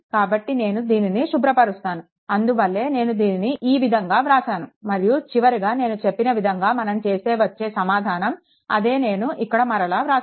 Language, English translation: Telugu, So, let me clean it , right that is why I have make it like this and finally, finally, if you the way I told whatever, I wrote same thing is written here same thing is written here, right